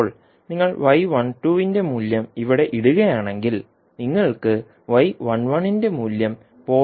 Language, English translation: Malayalam, Now, if you put the value of y 12 here, you will get simply the value of y 11 as 0